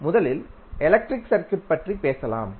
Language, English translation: Tamil, Let us talk about first the electric circuit